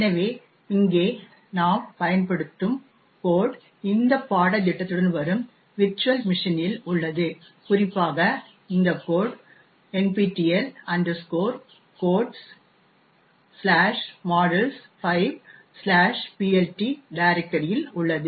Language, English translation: Tamil, So, the code we use over here is a present in the virtual machine that comes along with this course and this code in particular is present in this directory nptel codes module 5 PLT